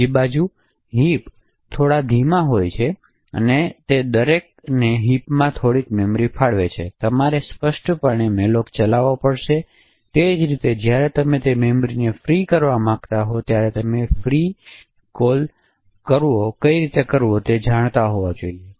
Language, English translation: Gujarati, On the other hand heaps are extremely slow every one allocate some memory in the heap you have to explicitly invoke the library function malloc and similarly when you want to free that memory knew how to invoke the free call